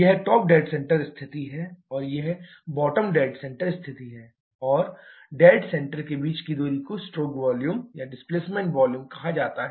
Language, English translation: Hindi, This is the top dead centre position and this is the bottom dead centre position and the distance between the dead centres is called the stroke volume or displacement volume